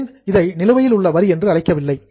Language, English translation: Tamil, Why I did not call it as outstanding tax